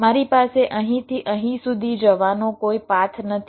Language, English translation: Gujarati, i do not have any path to to take from here to here